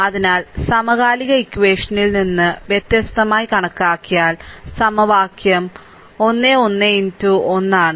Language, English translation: Malayalam, So, considered a set of simultaneous equations having distinct from, the equation is a 1 1 x 1, right